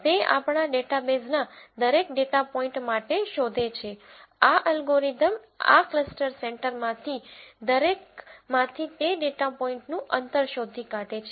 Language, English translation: Gujarati, It finds for every data point in our database, this algorithm first finds out the distance of that data point from each one of this cluster centres